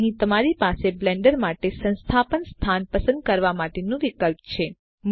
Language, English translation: Gujarati, So here you have the option to Choose Install location for Blender